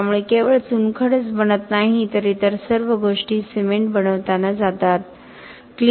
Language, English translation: Marathi, So, it is not only the limestone which is being made but all the other things which go into making of the cement